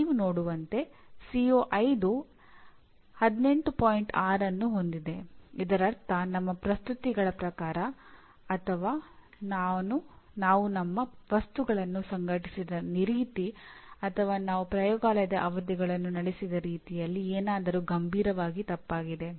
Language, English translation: Kannada, That means there is something seriously wrong either in terms of our presentations or the way we organized our material or we conducted the laboratory sessions, whatever it is